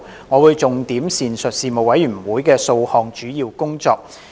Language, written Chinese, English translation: Cantonese, 我會重點闡述事務委員會的數項主要工作。, I will highlight to the Council several major areas of work of the Panel